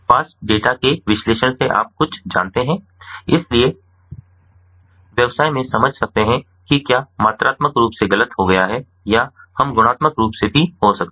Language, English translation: Hindi, fast data, something you know, so the businesses, they can understand that what has gone wrong quantitatively we can be done, or even qualitatively